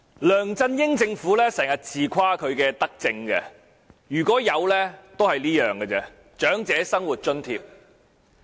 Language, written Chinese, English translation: Cantonese, 梁振英政府經常自誇其德政，如果有，也只有這一項，便是設立長者生活津貼。, The LEUNG Chun - ying Administration often brags about its benevolent policies . If there is any there is only this one the setting up of the Old Age Living Allowance OALA